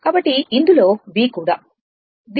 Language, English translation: Telugu, It is V